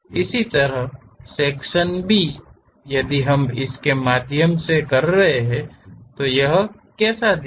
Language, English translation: Hindi, Similarly, section B if we are having it through this, how it looks like